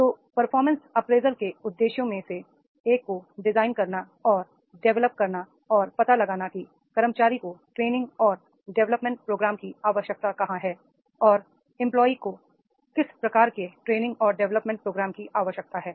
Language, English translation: Hindi, So, objectives of performance appraisal is also to one of the objectives of their performance appraisal is to design and develop and explore where the employee requires training and development programs and what type of the training and development programs are required by the employee